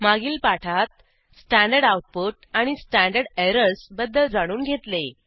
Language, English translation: Marathi, In an earlier tutorial, we learned about standard output and standard errors